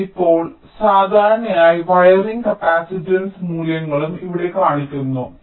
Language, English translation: Malayalam, now typically wiring capacitance values are also shown here